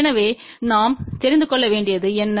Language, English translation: Tamil, So, what we need to know